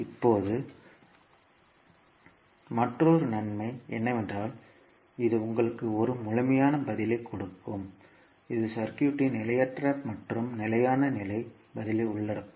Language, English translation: Tamil, Now, another advantage is that this will give you a complete response which will include transient and steady state response of the circuit